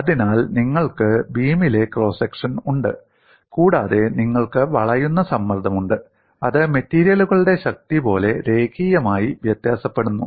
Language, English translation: Malayalam, So you have the cross section of the beam, and you have the bending stress which varies linearly as in strength of materials